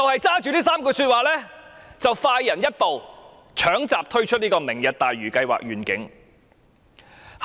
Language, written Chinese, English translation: Cantonese, 她基於這3個重點快人一步，搶閘推出"明日大嶼願景"計劃。, Based on these three key points she jumped the gun and launched the Lantau Tomorrow Vision project